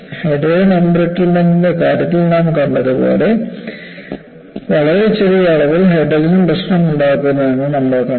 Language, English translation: Malayalam, And like what we had seen in the case of hydrogen embrittlement, there are also we saw, very small amounts of hydrogen, can cause problem